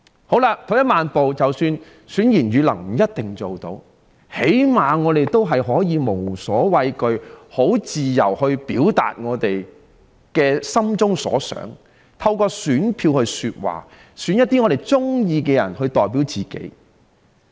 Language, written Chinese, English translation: Cantonese, 好了，退一萬步來說，即使選賢與能不一定能辦到，至少也可以讓我們無所畏懼及自由地表達我們心中所想，透過選票來說話，選一些我們喜歡的人代表自己。, Well at worst even if it is not possible to elect the good and the capable we should be at least able to express freely and without fear what we think by using our votes to speak our mind that is casting our votes to elect our own representatives whom we favour